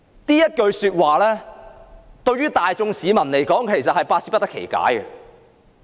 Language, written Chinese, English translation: Cantonese, 這句說話對於大眾市民來說是摸不着頭腦的。, Such remarks have made the public feel completely at a loss